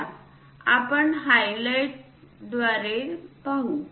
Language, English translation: Marathi, Let us look a through highlighter